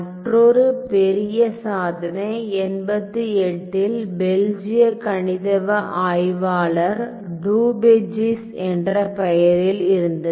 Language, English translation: Tamil, And then another big achievement was in 88 by a Belgian mathematician by the name of Daubechies